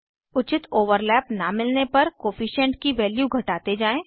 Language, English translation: Hindi, Reduce the Coefficient value till you see a proper overlap